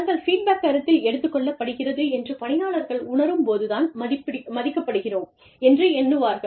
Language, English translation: Tamil, When employees know that, their feedback is being, actively, genuinely, considered, then they feel respected